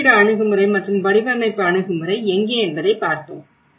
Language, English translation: Tamil, And where the location approach and the design approach